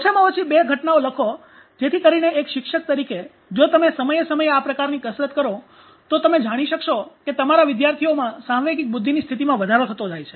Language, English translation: Gujarati, Write at least two events so as a teacher if you carry on this kind of exercise from time to time you will get to know there is a growing state of emotional intelligence within your students